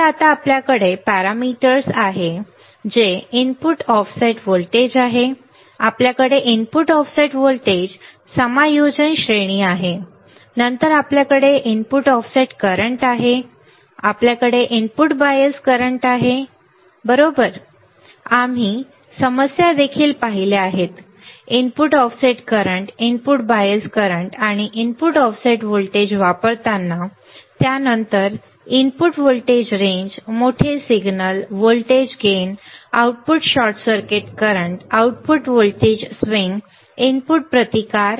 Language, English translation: Marathi, So, now, you have parameter, which is input offset voltage, you have input offset voltage adjustment range, then you have input offset current, then you have input bias current, we have seen this right, we have also seen the problems using input offset current input bias current and input offset voltage right